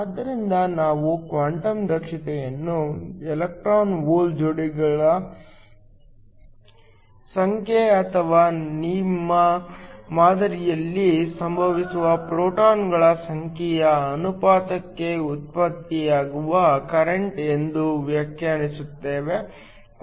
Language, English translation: Kannada, So, we define quantum efficiency as the number of electron hole pairs or the current that is generated to the ratio of the number of photons that are incident on your sample